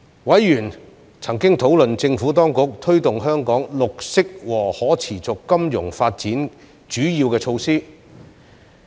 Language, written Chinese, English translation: Cantonese, 委員曾討論政府當局推動香港綠色和可持續金融發展的主要措施。, Members discussed the Administrations key initiatives to promote the development of green and sustainable finance in Hong Kong